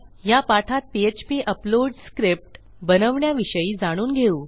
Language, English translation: Marathi, In this tutorial Ill show you how to create a simple php upload script